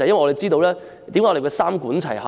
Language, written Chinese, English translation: Cantonese, 為何我們說要三管齊下呢？, Why do we advocate a three - pronged approach?